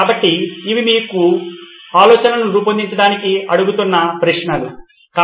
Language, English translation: Telugu, So these are questions you should be asking to generate ideas, okay